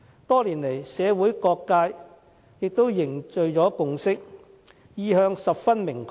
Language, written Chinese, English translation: Cantonese, 多年來社會各界也凝聚了共識，意向十分明確。, After all these years the various social sectors have already forged a consensus and come up with a very clear stand